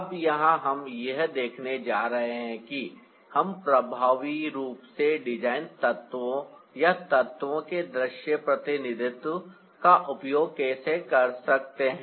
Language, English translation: Hindi, now we are going to ah see how ah we can effectively use a design elements ah or the elements of visual representation